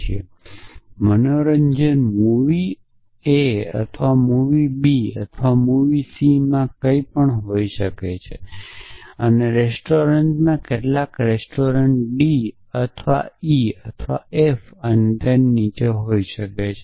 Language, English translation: Gujarati, And entertainment could be some in movie a or movie b or movie c and restaurant could be some restaurant d or e or f and below that